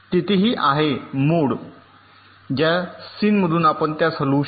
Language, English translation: Marathi, here there is also mode in which, from s in you can move it to out